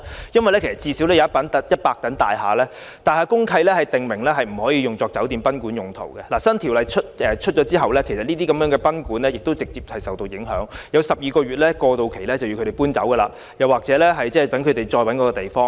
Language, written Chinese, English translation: Cantonese, 因為至少有100幢大廈的公契訂明禁止處所用作酒店或賓館用途，當新條例實施後，位於這些大廈內的賓館會直接受影響，只有12個月搬遷過渡期讓他們另覓地方。, Because the DMCs of at least 100 buildings have expressly prohibited the use of the premises as hotels or guesthouses . Upon implementation of the new legislation guesthouses located in these buildings will thus be directly affected and there will only be a transitional period of 12 months for them to find another place for relocation